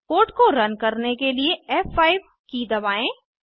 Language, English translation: Hindi, Press F5 key to run the code